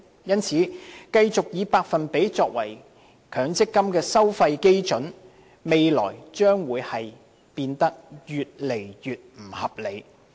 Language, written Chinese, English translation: Cantonese, 因此，如繼續以百分比作為強積金收費基準，未來將變得越來越不合理。, If percentage is continuously adopted as the MPF fee charging benchmark it will become increasingly unreasonable in the future